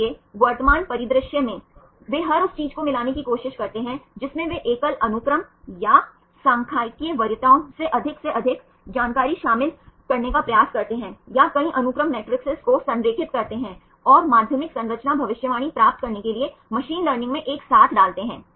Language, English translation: Hindi, So, current scenario, they try to mix everything they try to include as much information as possible either from single sequence or the statistical preferences or the multiple sequence alignment the matrices right and put together in machine learning right to get the secondary structure prediction